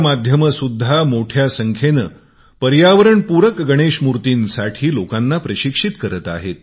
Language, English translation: Marathi, Media houses too, are making a great effort in training people, inspiring them and guiding them towards ecofriendly Ganesh idols